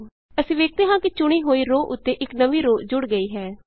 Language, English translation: Punjabi, We see that a new row gets inserted just above the selected row